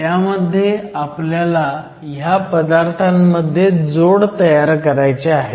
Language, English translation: Marathi, And in devices, we will have to form junctions between these materials